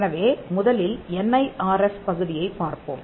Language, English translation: Tamil, So, let us look at the NIRF part first